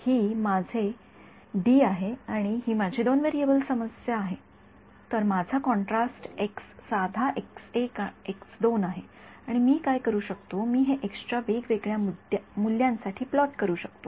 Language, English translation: Marathi, This is my 2 D this is my two variable problem so, my contrast x is simply x 1 x 2 and what I can do is I can plot this for different values of x